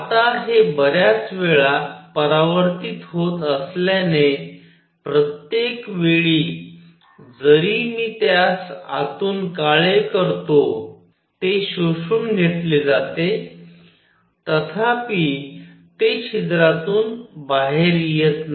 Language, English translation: Marathi, Now, since it is going around many many times, every time I can even make it black inside, it gets absorbed; however, it does not come out of the hole